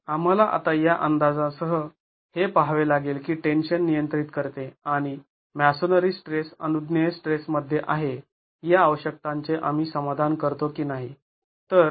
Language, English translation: Marathi, So, we will have to now look at whether with these estimates do we satisfy the requirements that tension controls and masonry stress is within permissible stress